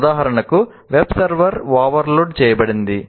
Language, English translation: Telugu, For example, web server is overloaded